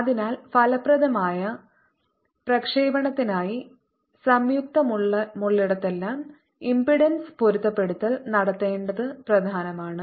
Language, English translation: Malayalam, so for effective transmission it is important that wherever there is a joint impedance, matching is done